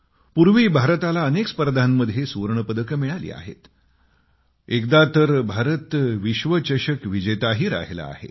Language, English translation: Marathi, India has won gold medals in various tournaments and has been the World Champion once